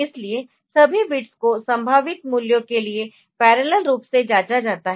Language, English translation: Hindi, So, all the bits are checked parallelly for the possible values ok